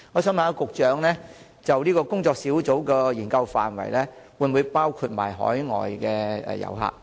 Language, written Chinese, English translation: Cantonese, 請問局長，工作小組的研究範圍會否包括海外遊客？, May I ask the Secretary whether the scope of the study of the working group will include overseas tourists?